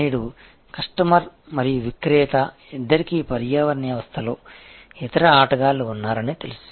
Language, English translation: Telugu, Today, the customer and the seller both know that there are other players in the ecosystem